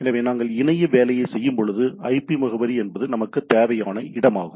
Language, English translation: Tamil, So, specially when we do internetworking, the IP address is the of the destination what we require